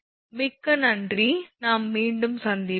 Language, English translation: Tamil, Thank you very much we will be we will be back again